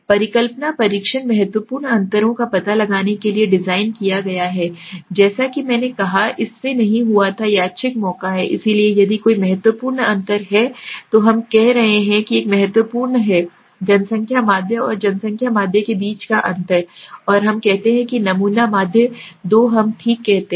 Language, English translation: Hindi, Hypothesis testing is designed to detect the significant differences as I said that did not occur by random chance, so if there is a significant difference we are saying there is a significant difference between the population mean and population mean and the let us say sample mean let us say okay